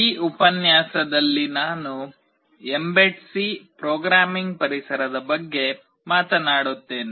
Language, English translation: Kannada, In this lecture I will be talking about mbed C Programming Environment